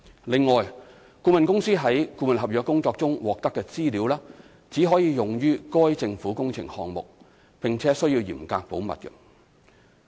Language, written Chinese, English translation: Cantonese, 另外，顧問公司從顧問合約工作中獲得的資料，只可用於該政府工程項目，並須嚴格保密。, The consultant can only use the information and other particulars obtained through the services of the consultancy agreement in the concerned government project and strict confidentiality should be observed